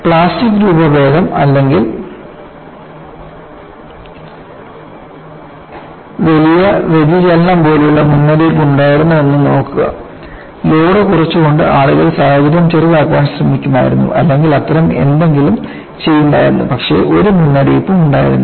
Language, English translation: Malayalam, See there had been a warning like plastic deformation or large deflection; people would have at least attempted to diffuse a situation by reducing the load, or do some such thing; it was no warning